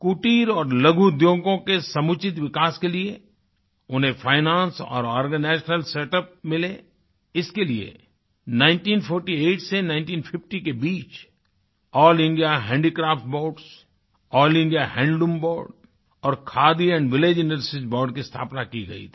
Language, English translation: Hindi, For the proper development of cottage and small industries with finance availability and organizational setup All India Handicrafts Board, All India Handloom Board and Khadi & Village Industries Board were established between 1948 and 1950